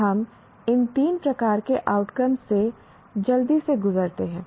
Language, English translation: Hindi, Now, let us quickly go through these three types of outcomes